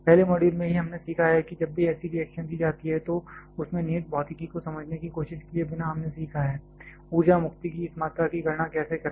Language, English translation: Hindi, In the first module itself we have learned whenever such reaction is given, without trying to understand the inherent physics of that we have learned that; how to calculate this amount of energy release